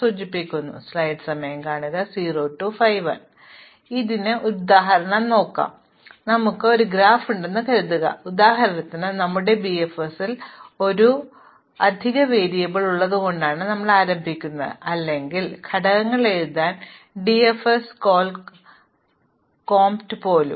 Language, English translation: Malayalam, So, let us look at an example of this, so supposing we have this graph, we begin by having an extra variable in our BFS for example, or even DFS call comp to number the components